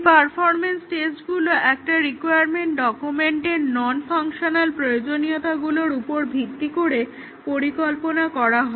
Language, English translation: Bengali, The performance tests are designed based on the non functional requirements in a requirements document